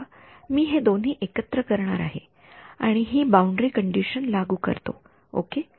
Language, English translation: Marathi, Now I am going to put these two together and impose this boundary condition ok